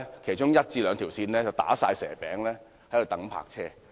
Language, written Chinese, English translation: Cantonese, 其中一兩條線總是"打蛇餅"，駕車人士都要等泊車。, There are long queues on one or two lanes as motorists have to wait for parking spaces